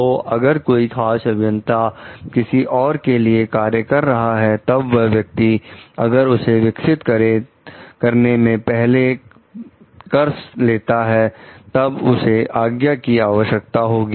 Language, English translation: Hindi, So, if that particular engineer is going to work for others so, then before if that person is going to do some development on it so, they have to seek the permission of the applied